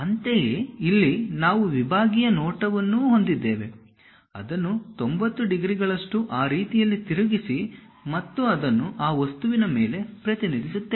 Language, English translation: Kannada, Similarly, here we have a sectional view, rotate it by 90 degrees in that way and represent it on that object